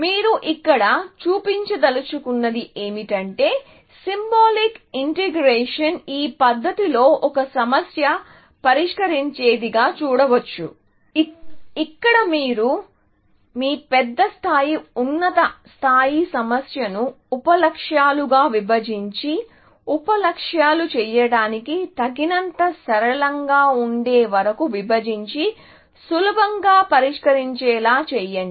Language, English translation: Telugu, So, what you want to show here, is that symbolic integration can be seen, as solving a problem in this manner where, you reason from your large level, higher level problem to break it down into sub goals, till sub goals are simple enough, to be solved trivially, and then, you have a solution for solving this problem